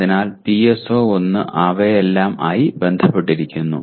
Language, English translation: Malayalam, So PSO1 is associated with all of them